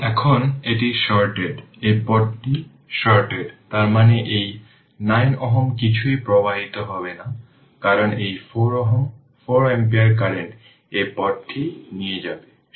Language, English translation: Bengali, Now, this is shorted this path is shorted right, that means this 9 ohm nothing will flow, because this 4 ohm ah 4 ampere current will take this path will take this path